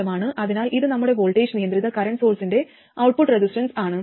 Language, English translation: Malayalam, So now this is the complete circuit of the voltage controlled current source